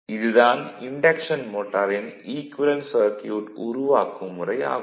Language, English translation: Tamil, Now, this is the development of the equivalent circuit of induction motor